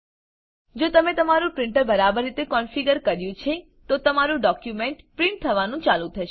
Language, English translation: Gujarati, If you have configured your printer correctly, your document will started printing